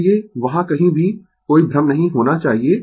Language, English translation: Hindi, So, there should not be any confusion anywhere